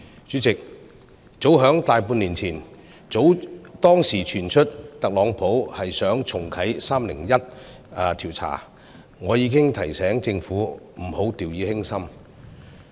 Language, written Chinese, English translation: Cantonese, 主席，早在大半年前傳出特朗普想重啟 "301 調查"，我已經提醒政府不要掉以輕心。, President as early as more than half a year ago it was reported that Donald TRUMP wanted to restart the Section 301 investigation . I reminded the Government then not to take it lightly . After that the trade war became reality